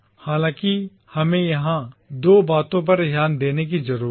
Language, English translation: Hindi, However, we need to note two things here